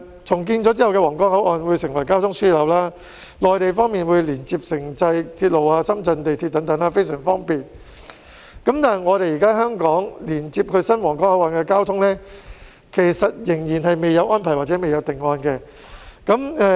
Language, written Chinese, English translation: Cantonese, 重建後的皇崗口岸將成為交通樞紐，內地方面會連接城際鐵路及深圳地鐵等，非常方便，但現時香港仍然未有連接至新皇崗口岸的安排或定案。, The redeveloped Huanggang Port will become a transport hub . On the Mainland side connection will be made to intercity railways Shenzhen metro lines and so on making it very convenient . However there is no arrangement or finalized plan yet in Hong Kong for connection to the new Huanggang Port